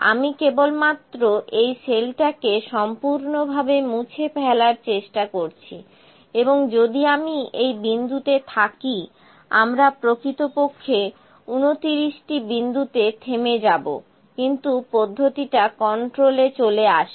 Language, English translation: Bengali, Let me try to just delete cell completely if I leave at this point, we are left with total 29 points actually, but the process comes in control